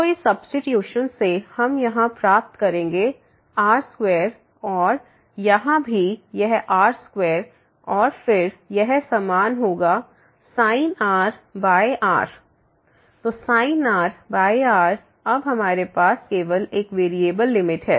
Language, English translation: Hindi, So, by this substitution we will get here r square and here also this square and then this will be like limit goes to 0, this is sin r and here we have